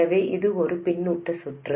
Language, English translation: Tamil, So, it is a feedback circuit